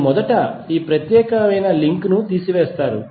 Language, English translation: Telugu, You will first remove this particular link